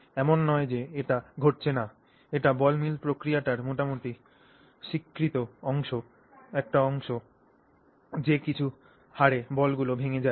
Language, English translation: Bengali, So, it is not that it is not happening, it is actually a fairly accepted part of the ball milling process that at some rate the balls will break down